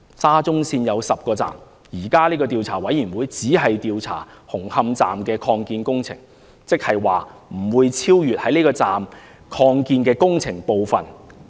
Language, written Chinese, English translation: Cantonese, 沙中線有10個站，現時的調查委員會只調查紅磡站的擴建工程，不會超出這個站的擴建工程部分。, SCL is comprised of 10 stations and the existing Commission would only conduct an inquiry into the construction works at the Hung Hom Station Extension . The construction works elsewhere are not covered